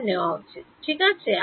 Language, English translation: Bengali, Average it, right